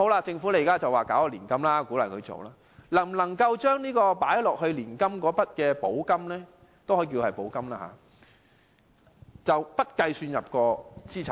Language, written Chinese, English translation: Cantonese, 政府現時表示會推出年金計劃，鼓勵長者投資，那麼投放到年金的那筆金額能否不計算入資產內？, While the Government now proposes to implement a public annuity scheme to encourage investment by the elderly can the amount of money invested into the scheme be exempted from being counted as assets?